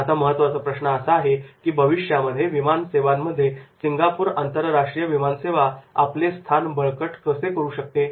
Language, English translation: Marathi, Now the key question, how can Singapore International Airlines best position itself for the future